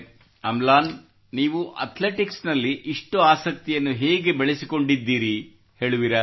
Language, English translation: Kannada, Amlan, tell me how you developed so much of interest in athletics